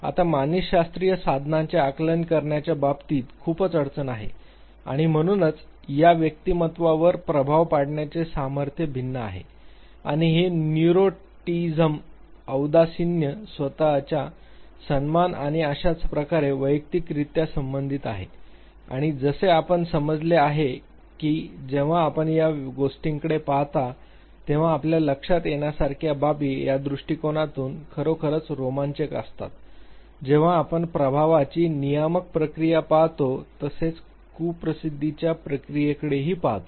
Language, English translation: Marathi, Now psychological tools have great difficulty in terms of assessing this and therefore, this strength of affect in differs across individual and is also related to individuals level of say neuroticism depressiveness self esteem and so forth and as we have understood that when you look at these very aspects you realize that these are the things this is the approach which basically provides exciting in side when we look at the regulatory process of the affect as well as when we look at the maladaptive coping process